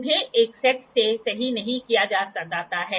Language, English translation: Hindi, Reflection is used